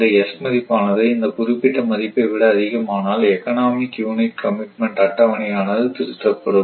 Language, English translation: Tamil, So, if the value of s exceeds this one then the economic unit commitment schedule is modified, right